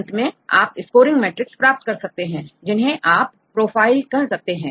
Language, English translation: Hindi, Finally, you can get the scoring matrix you can also call as profiles